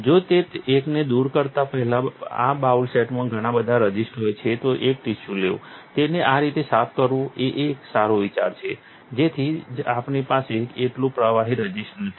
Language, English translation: Gujarati, If there is a lot of resists in the bowl set before removing that one, it is a good idea to take a tissue, wipe it off, just like this, just so we do not have as much liquid resist